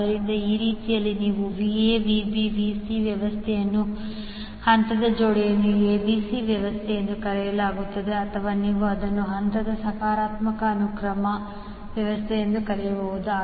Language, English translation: Kannada, So, in that way you can say that the particular Va Vb Vc arrangement is called as ABC sequence of the phase arrangement or you can call it as a positive sequence arrangement of the phases